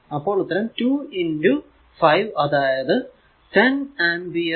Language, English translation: Malayalam, So, is basically 2 into 5; that means, your 10 ampere